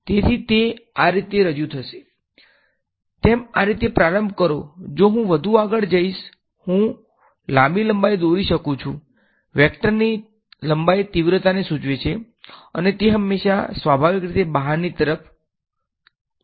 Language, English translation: Gujarati, So, they will be represented like this, start with as I go further outside I can draw longer length, the length of the vector denotes the magnitude and it is always radially outwards